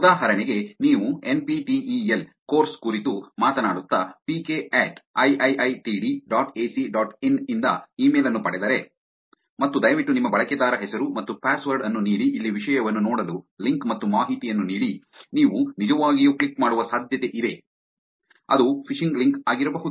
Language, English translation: Kannada, For example, if you get an email from pk at iiitd dot ac dot in now, talking about NPTEL course and which has a link saying please give your user name and a password to see the content here most likely that you're gonna actually click the link and give the information which may be a phishing link also